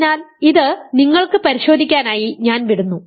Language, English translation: Malayalam, So, this I will leave for you to check